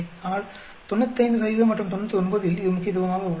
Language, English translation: Tamil, But at 95 percent, it is significant and at 99